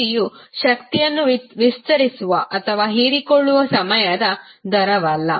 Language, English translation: Kannada, Power is nothing but time rate of expanding or absorbing the energy